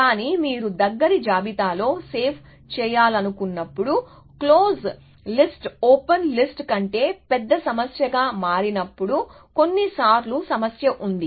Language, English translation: Telugu, But, there are problem sometimes, when you want to save on the close list, when the close list can become a greater problem than an open list